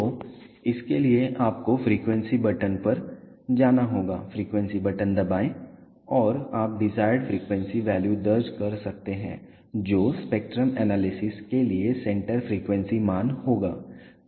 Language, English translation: Hindi, So, for that you have to go to the frequency button press the frequency button and you can enter the desired frequency value which will be the centre frequency value for the spectrum analysis